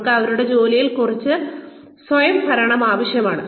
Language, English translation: Malayalam, They also need some autonomy in their jobs